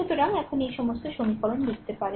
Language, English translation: Bengali, So, all these equations now you can write right